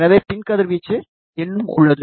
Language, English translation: Tamil, Hence, there is still a back radiation